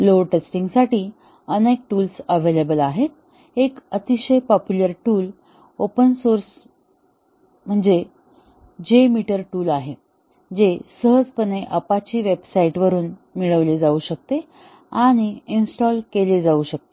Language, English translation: Marathi, There are several tools available for doing load testing; one very popular tool open source tool is the J meter, which can be easily installed and tested available from the apache website